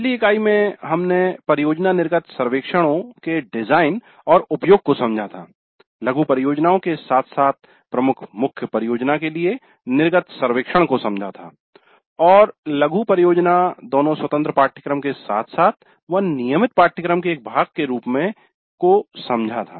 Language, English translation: Hindi, In the last unit we understood the design and use of project exit surveys, exit surveys for mini projects as well as the major main project and mini projects both as independent courses as well as a part of a regular course